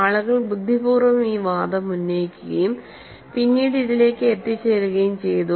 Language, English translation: Malayalam, People have cleverly made this argument and then arrived at this